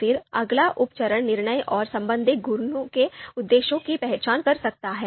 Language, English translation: Hindi, Then the next you know sub step could be identifying the objectives of the decision and respective properties